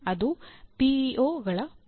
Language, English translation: Kannada, That is the role of PEOs